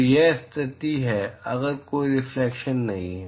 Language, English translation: Hindi, So, this condition is if there is no reflection